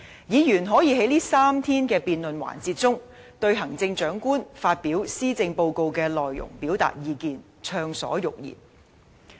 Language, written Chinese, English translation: Cantonese, 議員可以在這3天的辯論環節中，對行政長官發表的施政報告的內容表達意見，暢所欲言。, Members may express their views on the contents of the Policy Address delivered by the Chief Executive and speak their minds in the debate sessions of these three days